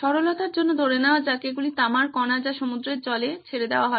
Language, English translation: Bengali, For simplicity sake let’s assume that these are copper particles which are let off into the seawater